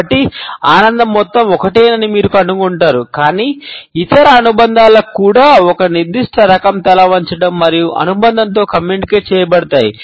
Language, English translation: Telugu, So, you would find that the amount of pleasure is the same, but the other associations are also communicated with the association of a particular type of head tilt